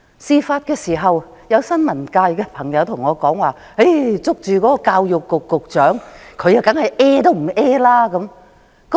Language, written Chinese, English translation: Cantonese, 事發時，有新聞界朋友跟我說，他向教育局局長追問時，對方當然是一聲不吭。, At the time when the incident happened a press fellow told me that the Secretary for Education did not reply to his enquiry at all